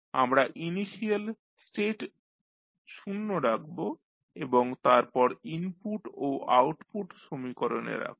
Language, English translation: Bengali, We will set the initial states to 0 and then we will equate input to output